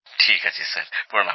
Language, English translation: Bengali, Sir ji Pranaam